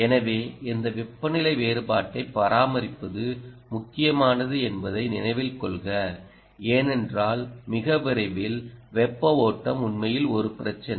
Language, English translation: Tamil, so maintaining this temperature difference is the key, please note, because very soon, heat flow ah is indeed an issue